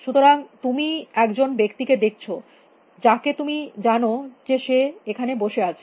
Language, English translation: Bengali, So, you see a person you know person sitting here